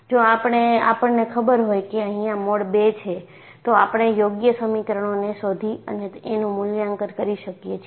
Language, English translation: Gujarati, If I know it is the mode 2, I can go for appropriate equations and evaluate